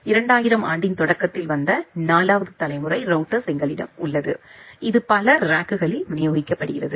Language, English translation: Tamil, Then we have the 4th generation of router which came in early 2000; it is distributed over multiple racks